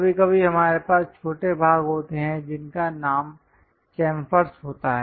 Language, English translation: Hindi, Sometimes, we have small portions named chamfers